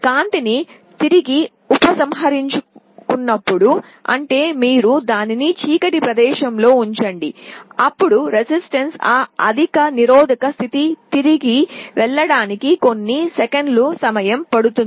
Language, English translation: Telugu, And when light is withdrawn again you put it in a dark place, then it can take a couple of seconds for the resistance to go back to that high resistance state